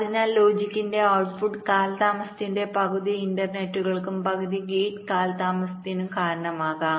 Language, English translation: Malayalam, so half of the input to output delay of the logic will be due to the interconnections and half due to the gate delay